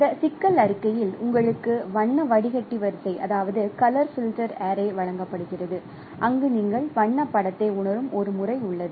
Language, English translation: Tamil, So, in this problem you are given a color filter addie where there is a pattern by which you are sensing the colored image